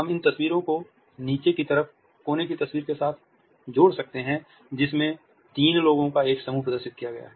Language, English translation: Hindi, We can contrast these pictures with a bottom corner photograph in which a group of three people has been displayed